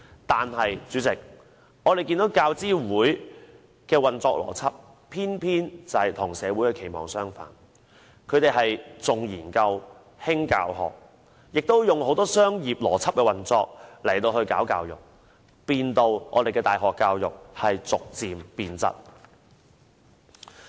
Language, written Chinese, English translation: Cantonese, 但是，主席，我們看到教資會的運作邏輯，偏偏與社會的期望相反，它重研究，輕教學，亦以很多商業邏輯運作來搞教育，令我們的大學教育逐漸變質。, But Chairman we notice that the administrative logic of UGC is quite the opposite of what society expects . It stresses research and disparages teaching; it develop education with many business logics which has led to the gradual deterioration of university education